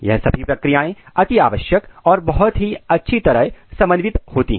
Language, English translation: Hindi, This all process are essential as well as highly coordinated